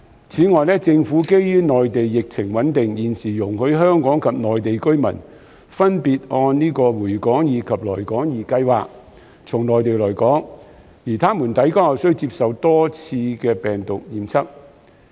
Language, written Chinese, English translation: Cantonese, 此外，政府基於內地疫情穩定，現時容許香港及內地居民分別按"回港易"及"來港易"計劃從內地來港，而他們抵港後須接受多次病毒檢測。, In addition in view of the stable epidemic situation on the Mainland the Government currently allows Hong Kong and Mainland residents to come to Hong Kong from the Mainland under the Return2hk and the Come2hk Schemes respectively and they are required to undergo multiple virus testing after arriving in Hong Kong